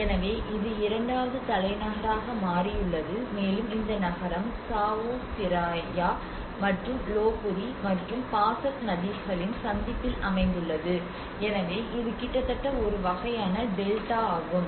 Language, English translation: Tamil, So this has become more of the second capital, and this city is located at the junction of Chao Phraya and Lopburi and Pasak rivers, so it is almost a kind of delta kind of thing